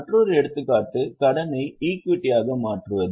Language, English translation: Tamil, Another example is conversion of debt into equity